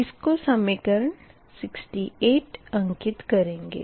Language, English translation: Hindi, this is equation sixty six